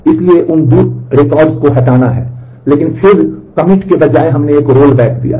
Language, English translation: Hindi, So, these 2 records are to be deleted, but then instead of commit we have given a rollback